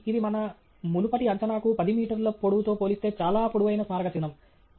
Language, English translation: Telugu, So, that’s quite a tall monument relative to our previous estimate about 10 meters tall